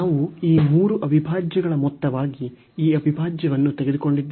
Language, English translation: Kannada, So, we have taken this integral as a sum of these three integrals